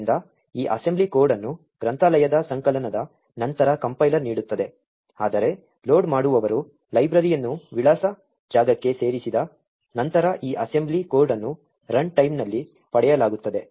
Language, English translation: Kannada, So, this assembly code is what the compiler gives out after compilation of the library, while this assembly code is what is obtained at runtime after the loader has inserted the library into the address space